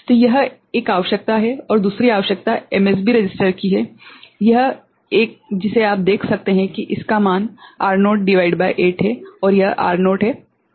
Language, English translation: Hindi, So, this is one requirement and the second one is the MSB register, this one you can see it is value is R naught by 8 and this is R naught ok